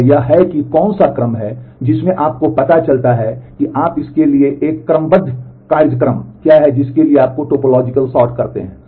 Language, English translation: Hindi, And what is that what is the order in which you find out what is the corresponding serial schedule for that you do a topological sort